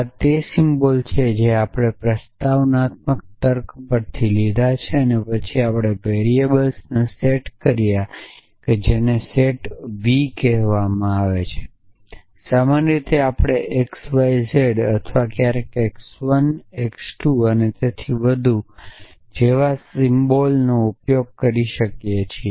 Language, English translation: Gujarati, symbols which we borrow from proposition logic then we have set of variables that is called is set v and typically we use symbols like x y z or sometimes x 1 x 2 and so on